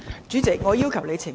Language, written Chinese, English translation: Cantonese, 主席，我要求你澄清。, President I want to seek your elucidation